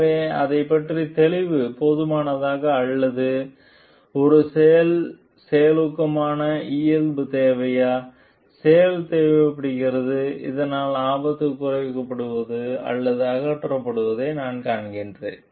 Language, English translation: Tamil, So, is knowledge enough or an action proactive nature is required, action is required so that I see that the hazard is getting reduced or eliminated